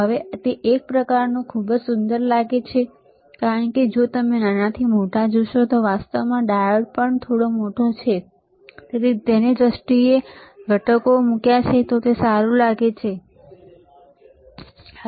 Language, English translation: Gujarati, Now it is kind of it looks very beautiful because if you see from smaller to bigger actually diode is also little bit big in terms of he has placed the components it looks good, all right